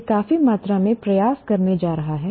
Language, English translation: Hindi, It is going to take considerable amount of effort